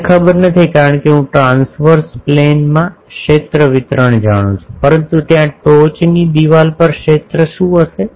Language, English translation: Gujarati, I do not know because I know the field distribution in the transverse plane, but there on the top wall what will be the field